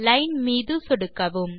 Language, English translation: Tamil, Click on Line